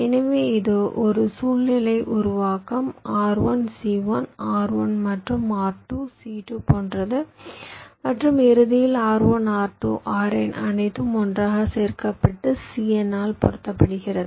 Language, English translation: Tamil, so like that it is like a recursive formulation: r one, c one, r one plus r two, c two, and at the end r one, r two, r n all added together multiplied by c n